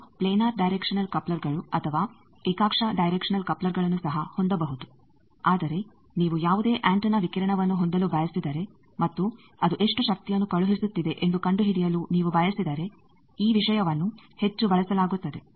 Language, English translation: Kannada, You can also have planar directional couplers or coaxial directional couplers, but this thing is heavily used if you want to have any antenna radiating and you want to find out how much power it is sending